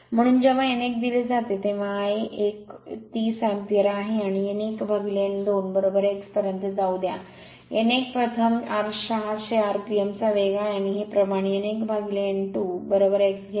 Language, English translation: Marathi, So, when n 1 is given I a 1 is 30 ampere, and let n 1 upon n 2 is equal to x, n 1 is the speed for the first case 600 rpm and this ratio take n 1 by n 2 is equal to x